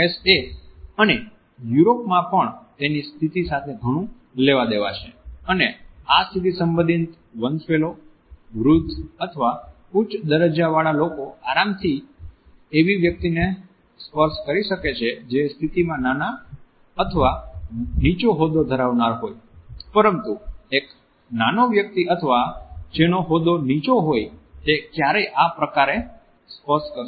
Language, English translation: Gujarati, In the USA and in Northern Europe touch also has a lot to do with his status and this status related hierarchies, people who are older or of higher status can comfortably touch a person who is younger or lower in status, but a younger person or a person who is lower in status would never initiate this touch